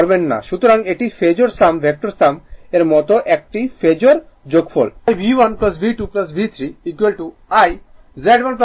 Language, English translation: Bengali, So, it is a phasor sum like vector vector sum you have to do it so V1 plus V2 plus V3 is equal to I into